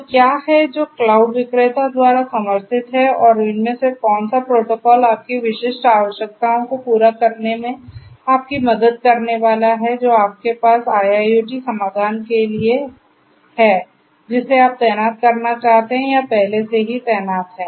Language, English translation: Hindi, So, which ones are there that are supported by the cloud vendor and what will which of these protocols are going to help you cater to your specific requirements that you have for the IIoT solution that you want to deploy or is already deployed